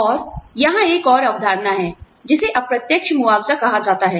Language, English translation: Hindi, And, there is another concept here, called indirect compensation